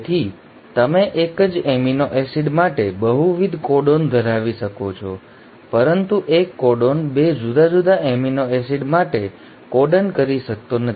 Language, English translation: Gujarati, So you can have multiple codons for the same amino acid but a single codon cannot code for 2 different amino acids